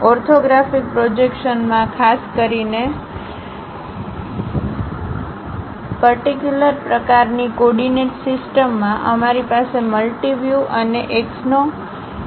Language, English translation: Gujarati, In orthographic projections, especially in perpendicular kind of coordinate systems; we have multi views and axonometric kind of projections